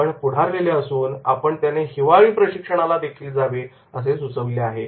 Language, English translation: Marathi, Now we are in advance and then we are also suggesting the winter training